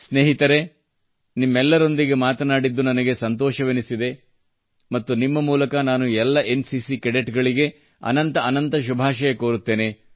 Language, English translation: Kannada, Ok,friends, I loved talking to you all very much and through you I wish the very best to all the NCC cadets